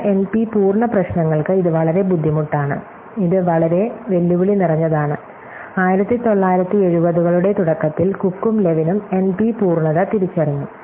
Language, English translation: Malayalam, For some N P complete problem and this is very hard, this is very proved challenging, N P completeness was identify by Cook and Levin with early Õs